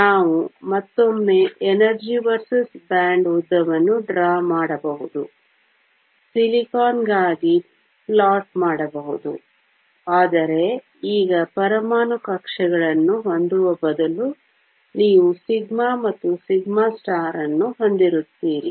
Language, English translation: Kannada, We can once again draw an energy versus bond length plot for silicon, but now instead of having the atomic orbitals you will have the sigma and sigma star